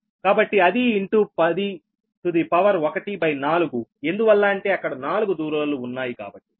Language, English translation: Telugu, so it is into ten to the power, one by four, because four distances are there